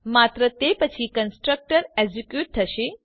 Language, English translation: Gujarati, Only after that the constructor is executed